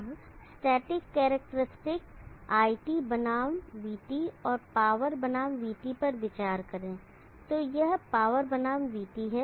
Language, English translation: Hindi, Now consider the static characteristic IT versus VT and the power versus VT this is the power versus VT